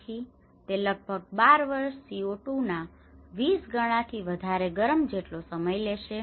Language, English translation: Gujarati, So, this takes about 12 years over 20 times more heat than the same amount of CO2